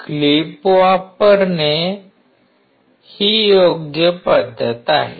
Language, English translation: Marathi, Using a clipper is the right practice